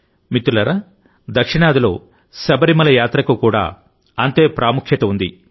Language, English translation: Telugu, Friends, the Sabarimala Yatra has the same importance in the South